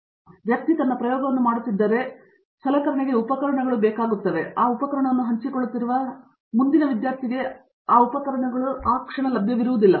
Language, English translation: Kannada, So, if so one person is doing his experiment the equipment gets tied to that experiment which means, like it’s not available for the next student who is sharing that equipment